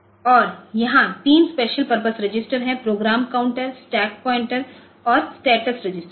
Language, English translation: Hindi, And, there are three special purpose registers; program counter, stack pointer and status register